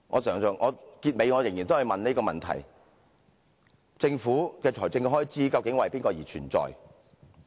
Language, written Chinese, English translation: Cantonese, 最後我仍要提出這個問題："政府的財政開支究竟為誰而存在？, Finally I still have to raise this question For whom does government expenditure exist?